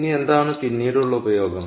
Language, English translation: Malayalam, ok, now, what is later used